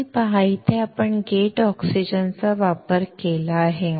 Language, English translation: Marathi, You see, here we have used oxygen directly